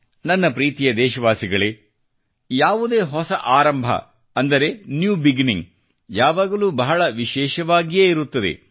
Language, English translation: Kannada, My dear countrymen, any new beginning is always very special